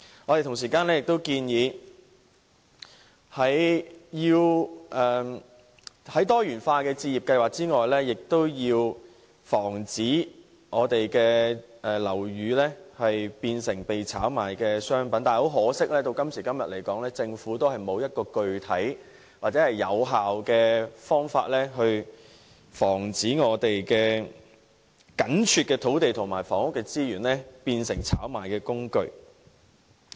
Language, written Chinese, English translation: Cantonese, 我們亦建議，在多元化的置業計劃外，亦要防止樓宇變成被炒賣的商品，但很可惜，直至今天，政府仍然沒有具體或有效的方法，可以防止我們緊絀的土地和房屋資源變成炒賣工具。, Besides providing various home ownership schemes we also propose that the Government should prevent residential properties being turned into a commodity for speculation . Regrettably up till now the Government has failed to come up with any specific or effective measures to prevent our scarce land and housing resources from becoming commodities for speculation